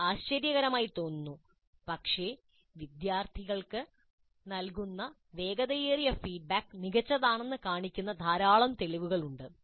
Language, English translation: Malayalam, It looks surprising, but there is considerable amount of evidence to show that the faster, the quicker the feedback provided to the students is the better will be the students learning